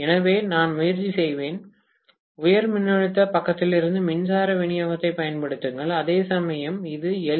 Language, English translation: Tamil, So, I would try to apply the power supply from the high voltage side, whereas this is LV, why so